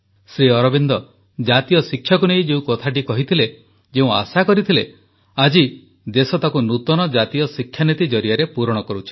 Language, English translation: Odia, Whatever Shri Aurobindosaid about national education and expected then, the country is now achieving it through the new National Education Policy